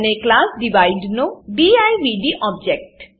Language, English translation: Gujarati, And divd object of class Divide